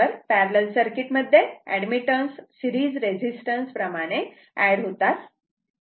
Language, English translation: Marathi, So, for parallel circuit Admittance has to be added the way you add resistance in series